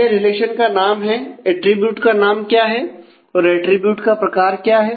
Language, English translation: Hindi, So, it is for the relation name what is attribute name and what is the type of that attributes